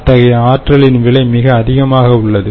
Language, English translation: Tamil, now, now, the cost of such energy is much higher